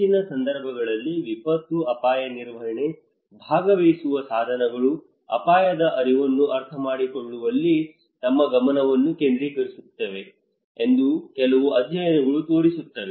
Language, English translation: Kannada, Some studies is showing that most of the cases disaster risk management participatory tools their focus is on understanding the risk awareness